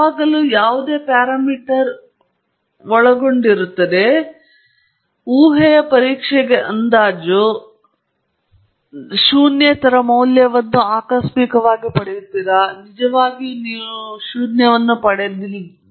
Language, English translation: Kannada, Always subject any parameter, estimate to a hypothesis’ test whether it is significant enough, whether you have just obtained a non zero value by chance, whether truly you should have obtained zero